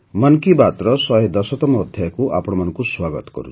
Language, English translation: Odia, Welcome to the 110th episode of 'Mann Ki Baat'